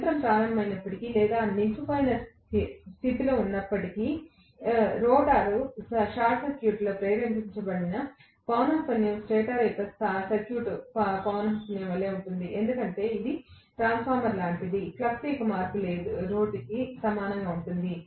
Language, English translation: Telugu, When the machine started or it was just in standstill condition, the frequency induced in the rotor circuit is same as that of the stator circuit frequency; because it is like a transformer the rate of change of flux is similar